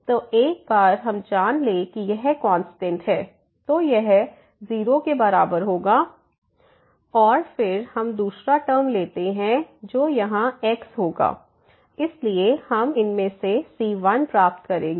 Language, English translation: Hindi, So, once we this is a constant so this will be equal to 0 and then we take the second term which will be having here there so we will get the out of this